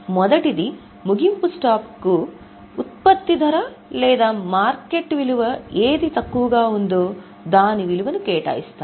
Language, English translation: Telugu, The first one is the closing stock is valued at cost or market value whichever is lower